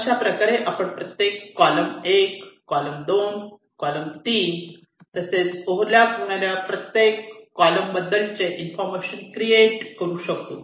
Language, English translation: Marathi, so in this way you can create some information about along every column, column one, column two, column three, which are the nets which are over lapping